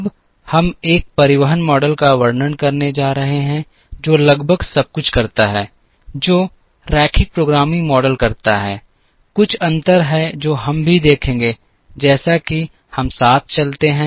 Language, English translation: Hindi, Now, we are going to describe a transportation model, which does almost everything that the linear programming model does, there are a few differences which also we will see, as we move along